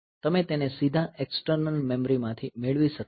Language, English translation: Gujarati, So, you cannot have it from external memory like that directly